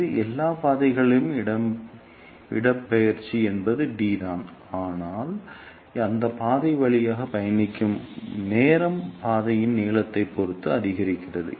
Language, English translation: Tamil, And in all these paths, the displacement is same which is d, but the time taken to travel through that path increases depending upon the path length